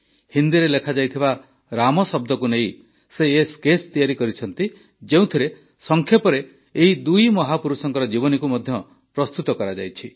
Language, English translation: Odia, On the word 'Ram' written in Hindi, a brief biography of both the great men has been inscribed